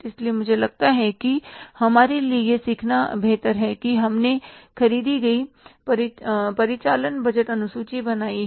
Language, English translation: Hindi, So, I think it is better for us to learn that we have prepared the operating budget